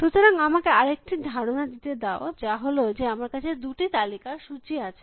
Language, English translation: Bengali, So, let me make another suggestion, which is that I have a list of two lists